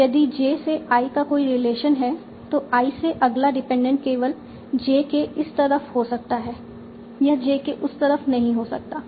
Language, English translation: Hindi, If there is a relation from J to I, then from I, the next dependent can be only on this side of J